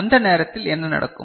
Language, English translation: Tamil, And at that time what will happen